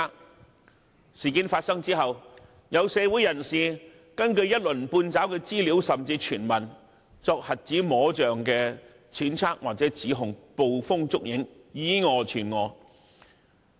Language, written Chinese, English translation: Cantonese, 在事件發生後，有社會人士根據一鱗半爪的資料甚至傳聞，作瞎子摸象的揣測或指控，捕風捉影，以訛傳訛。, After the incident some members of the public made groundless speculation or accusation based on incomplete information and even hearsay and then incorrectly relayed erroneous messages